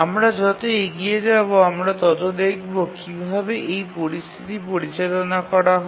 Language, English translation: Bengali, As we proceed, we will see how to handle this situation